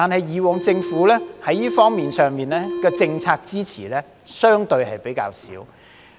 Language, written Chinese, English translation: Cantonese, 可是，政府以往在這方面上的政策支持是相對比較少的。, Nonetheless the Government has provided little policy support in this respect in the past